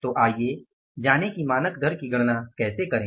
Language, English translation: Hindi, So, let us learn how to calculate the standard rate